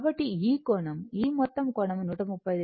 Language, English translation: Telugu, So, this is these angle this this total angle is 135 degree